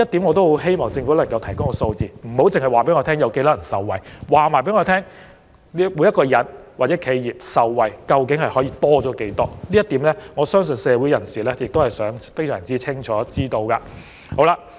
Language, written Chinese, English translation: Cantonese, 我希望政府能夠提供這些數字，而不單是受惠人數，所以請當局提供每名納稅人或每家企業額外受惠的金額，因為我相信社會人士均想知道答案。, I hope the Government can provide such figures and not just the number of peopleenterprises benefiting therefrom . Hence I ask the Administration to provide the information about the additional amounts of taxes to be saved in respect of every taxpayer or enterprise because I believe people in society want to know the answer